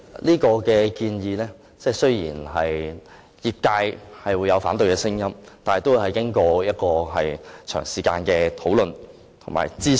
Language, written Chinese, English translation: Cantonese, 這項建議雖然引起業界的反對聲音，但也已經過長時間討論及諮詢。, Despite voices of opposition from the industry this proposal has already gone through a long period of discussion and consultation